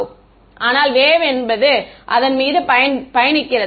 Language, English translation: Tamil, But the wave is travelling on it